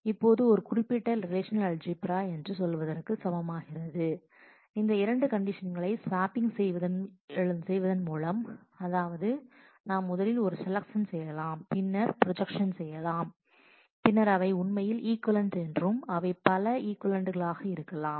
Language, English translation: Tamil, Now, it is also clear to say that this particular relational algebra expression can be equivalently written by swapping that these two conditions, that is we can first do a selection and then do the projection they are actually equivalent and that could be multiple equivalents